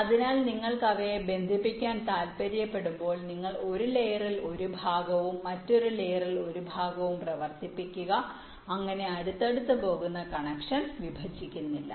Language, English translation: Malayalam, so when you want to connect them, you run a part on one layer, a part on other layer, so that this another connection that is going side by side does not intersect